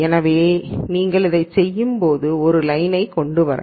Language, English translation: Tamil, So, you could you could come up with a line that does it